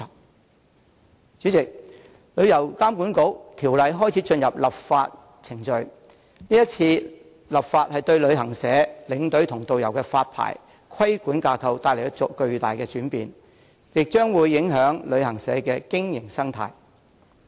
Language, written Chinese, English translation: Cantonese, 代理主席，有關旅遊監管局的條例已開始進入立法程序，是次立法工作將對旅行社、領隊和導遊的發牌和規管架構帶來巨大轉變，亦將會影響旅行社的經營生態。, Deputy President the legislative process of the proposed ordinance on the establishment of TIA has already commenced . The legislative exercise will bring about tremendous changes to the licensing and regulatory regimes for travel agencies tour escorts and tourist guides and create great impacts on the business ecology of travel agencies